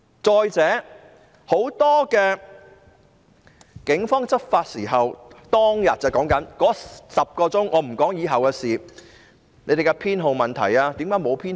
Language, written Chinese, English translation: Cantonese, 再者，很多警察在執法時——我說的6月12日當天，以後的事不說——沒有展示警員編號。, Moreover when many police officers enforced the law―I only refer to the incident that happened on 12 June but not thereafter―they did not display their police identification numbers